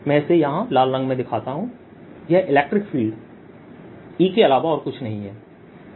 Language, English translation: Hindi, let me show this here in the red is nothing but the electric field